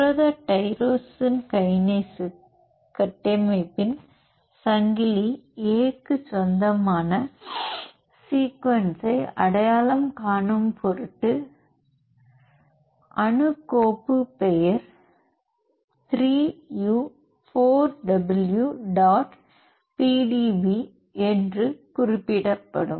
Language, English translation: Tamil, In order to identify the sequence that is belongs to the chain A of the protein tyrosine kinase structure, and followed by the atom file name is 3 u 4 w dot pdb